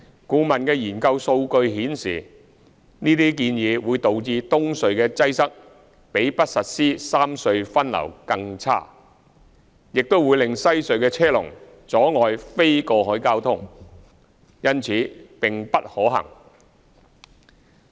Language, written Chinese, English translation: Cantonese, 顧問的研究數據顯示，這些建議會導致東隧的擠塞比不實施三隧分流更差，亦會令西隧的車龍阻礙非過海交通，因此並不可行。, The statistics in the consultancy study indicate that such proposals will lead to worse congestion at EHC than not implementing the rationalization of traffic distribution among the three RHCs and will also lead to blockage of non - cross - harbour traffic by traffic queues at WHC . Such proposals are thus inadvisable